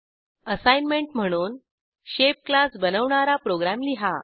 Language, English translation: Marathi, As an assignment Write a program to Create a class Shape